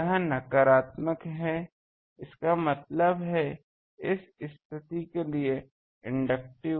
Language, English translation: Hindi, This is negative; that means, inductive for this condition